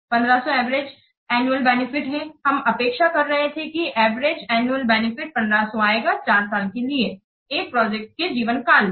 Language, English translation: Hindi, We are expecting that the average annual benefit will be 1500 when for the four years life of the project